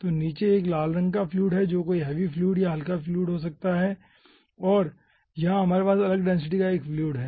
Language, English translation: Hindi, so bottom 1 is the red colored fluid, may be some sort of heavy fluid or light fluid, and here we are having another fluid of different density